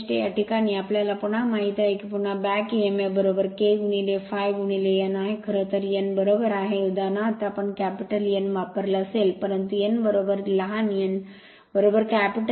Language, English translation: Marathi, In this case we know again back emf is equal to K into phi into n, actually n is equal there is example we might have used capital N, but n is equal to small n is equal to capital N